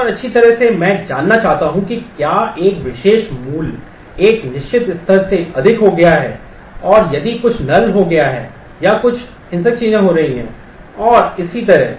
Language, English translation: Hindi, And well I want to know if a particular value has exceeded a certain level or if something has become null or some violatory things are happening and so on